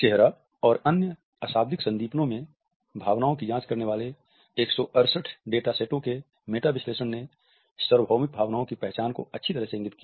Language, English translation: Hindi, ” A meta analysis of 168 data sets examining judgments of emotions in the face and other nonverbal stimuli indicated universal emotion recognition well above chance levels